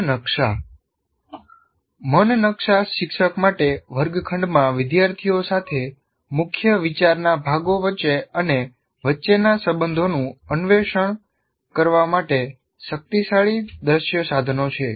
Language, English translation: Gujarati, Mind maps are powerful visual tools for the teacher to explore along with the students in the classroom, the relationships between and along parts of a key idea